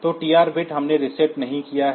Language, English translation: Hindi, So, TR bit we have not reset